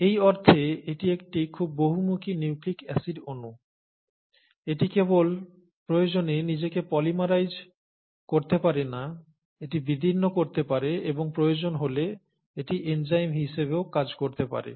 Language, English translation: Bengali, So it's a very versatile nucleic acid molecule in that sense, that it not only can polymerize itself if the need be, it can cleave, and if the need be, it can also act as an enzyme